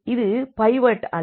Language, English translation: Tamil, So, this is not pivot